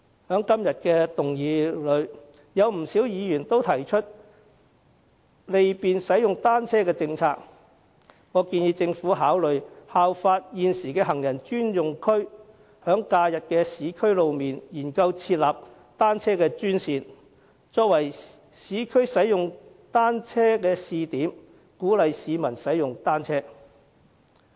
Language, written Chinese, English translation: Cantonese, 在今天的議案辯論之中，不少議員均提出利便使用單車的政策，我建議政府考慮效法現時的行人專用區，在假日的市區路面，研究設立單車專線，作為市區使用單車的試點，鼓勵市民使用單車。, In the motion debate today many Members have proposed cyclist - friendly initiatives . I suggest the Government to consider designating bicycle - only lanes on roads in the urban areas during holidays as it does currently for pedestrian zones as a pilot scheme to encourage the public to use bicycles